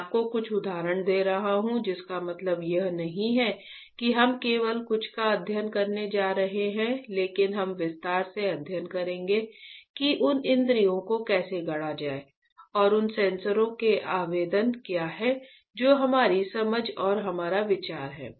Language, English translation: Hindi, I am giving you a few examples right that does not mean that we are only going to study this few, but we will study in detail how to fabricate those senses, alright and what are the application of those sensors that is our understanding and our idea to understand this particular course